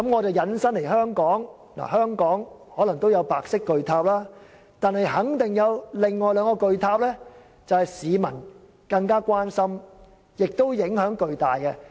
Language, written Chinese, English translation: Cantonese, 在香港，可能也有白色巨塔，但肯定還有另外兩個市民更為關注且影響重大的巨塔。, In Hong Kong this great white tower may exist too but there are certainly two other great towers which have drawn even more public concern and posed significant impact on peoples lives